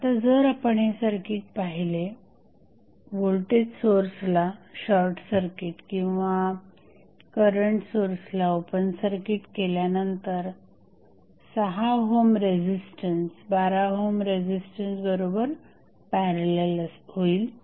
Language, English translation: Marathi, So, now, if you see the circuit, when you short circuit the voltage source, open circuit the current source 6 ohm resistance would be in parallel with 12 ohm and these 3 ohm and 2 ohm resistance would be in series